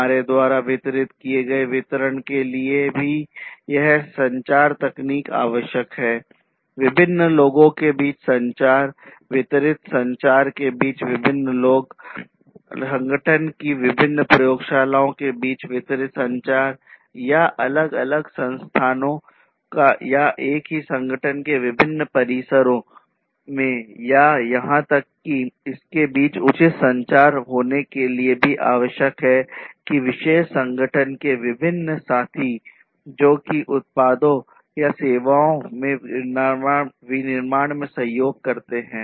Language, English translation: Hindi, And this communication technology is required even to distribute we have distributed communication between different people, distributed communication between different people, distributed communication between the different labs of the same organization, distributed communication across the different locations, or different campuses of the same organization or even it is also required for having proper communication between the different partners of a particular organization, who contribute to the manufacturing of the products or the services